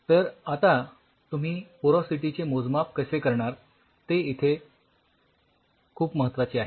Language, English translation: Marathi, How you do the porosity measurements that is very important now for the